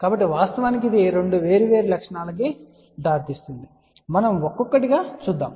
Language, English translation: Telugu, So, actually speaking it leads to two different properties we will just see one by one